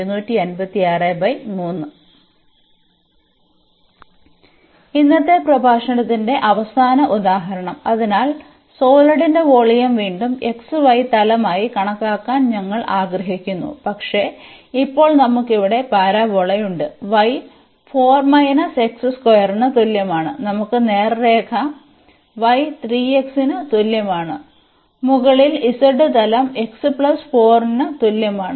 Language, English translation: Malayalam, And now the last example of today’s lecture; so, we want to compute the volume of the solid whose base is again the xy plane, but now we have the parabola here y is equal to 4 minus x square, we have the straight line y is equal to 3 x and on the top we have the plane z is equal to x plus 4